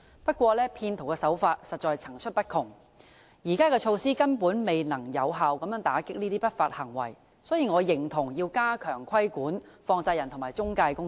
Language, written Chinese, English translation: Cantonese, 不過，騙徒手法實在層出不窮，現行措施根本未能有效打擊這些不法行為，所以我認同要加強規管放債人及中介公司。, Nevertheless there are indeed all sorts of practices by fraudsters and the prevailing measures are simply ineffective in combating these illegal acts . Therefore I agree that the regulation of money lenders and intermediaries should be stepped up